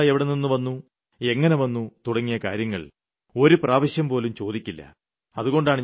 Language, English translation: Malayalam, Not once will it be asked as to from where all this wealth came and how it was acquired